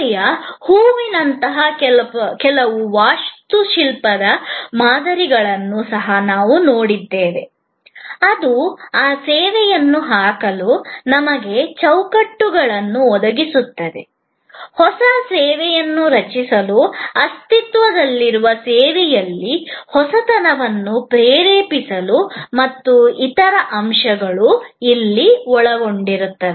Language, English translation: Kannada, We also looked at certain architectural models, like the flower of service, which provide us frameworks for putting those service elements together to create a new service, to inspire innovation in an existing service and so on